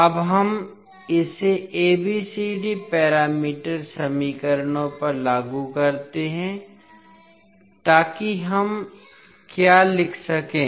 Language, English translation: Hindi, Now we apply this to ABCD parameter equations so what we can write